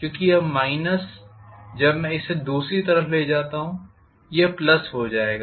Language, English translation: Hindi, Because this minus when I get it to the other side it will becomes plus